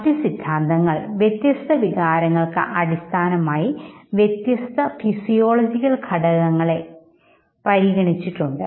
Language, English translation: Malayalam, Other theories have considered different physiological concomitants for diverse emotion